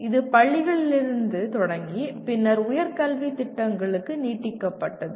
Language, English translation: Tamil, It started with schools and then got extended to higher education programs